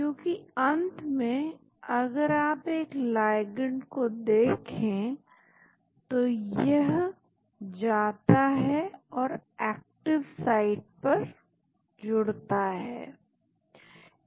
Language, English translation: Hindi, Because, ultimately if you look at a ligand, it goes and binds to the active site